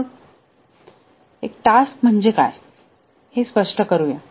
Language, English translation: Marathi, But then let us be clear about what is a task